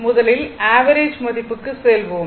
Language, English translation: Tamil, So, let us first ah, go through the average value